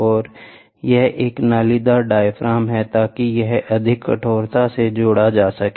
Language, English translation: Hindi, And here is a corrugated diaphragm so, that it adds more stiffness, right